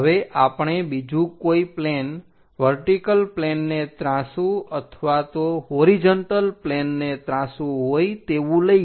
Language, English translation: Gujarati, Now, we will like to take any other plane inclined either with vertical plane or horizontal plane